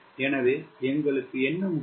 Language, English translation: Tamil, so what is important for us